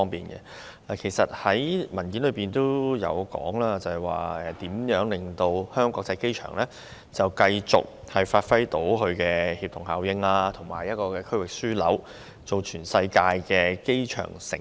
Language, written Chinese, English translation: Cantonese, 預算案提到可如何令香港國際機場繼續發揮協同效應，成為區域樞紐，以至成為全世界的"機場城市"。, The Budget mentioned how to keep the Hong Kong International Airport HKIA producing synergy and render it a regional hub and even the worlds Aerotropolis